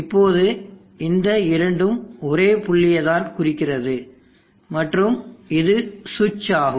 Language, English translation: Tamil, Now these two points are the same points and this is the switch